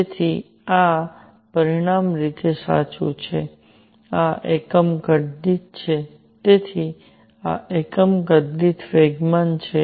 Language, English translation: Gujarati, So, this is dimensionally correct this is at per unit volume; so, this is momentum per unit volume